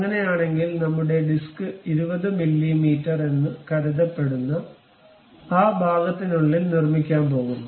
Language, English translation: Malayalam, In that case our disc what we are going to construct inside of that portion supposed to be 20 mm